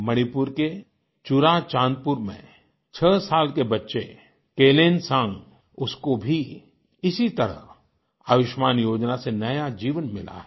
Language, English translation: Hindi, Kelansang, a sixyearold child in ChuraChandpur, Manipur, has also got a new lease of life from the Ayushman scheme